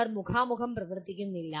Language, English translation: Malayalam, They are not operating face to face